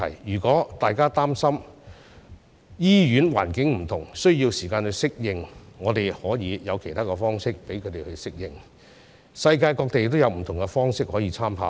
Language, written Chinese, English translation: Cantonese, 如果大家擔心醫院環境不同，需要時間適應，我們可以有其他方式讓他們適應，世界各地也有不同方式可以參考。, If people are worried about the time needed to adapt to the different hospital environment we have other ways to facilitate their adaptation . Reference can be drawn from the many practices adopted around the world